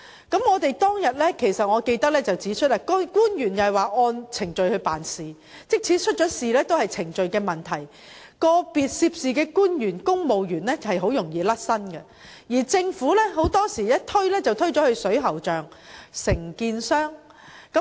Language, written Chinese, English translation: Cantonese, 記得當日我曾指出，政府官員表示是按程序辦事，即使發生事故也屬程序問題，個別涉事官員及公務員很容易便可脫身，而且政府很多時均把責任推到水喉匠和承建商身上。, I remember I have pointed out back then that as stated by some government officials they were just following the procedures and if anything went wrong individual officials and the civil servants involved would be able to get away very easily . Moreover the Government has often put the blame on plumbers and contractors